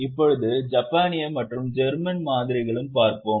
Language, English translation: Tamil, Now there is also a Japanese and German model